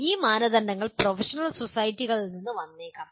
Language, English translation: Malayalam, These standards may come from the professional societies